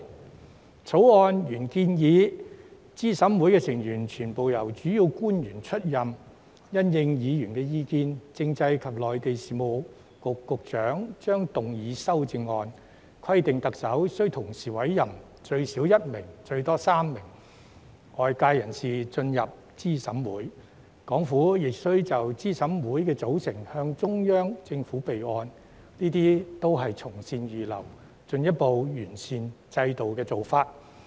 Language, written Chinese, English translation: Cantonese, 《條例草案》原來建議資審會成員全部由主要官員出任，因應議員意見，政制及內地事務局局長將動議修正案，規定特首須同時委任最少1名和最多3名外界人士進入資審會，港府亦須就資審會的組成向中央政府備案，這些也是從善如流，進一步完善制度的做法。, The Bill originally provides that CERC members are confined to Principal Officials . Taking into account the views of Members the Secretary for Constitutional and Mainland Affairs will move an amendment to stipulate that the Chief Executive shall appoint one to three non - official CERC members . The Hong Kong Government shall also report the composition of CERC to the Central Government for the record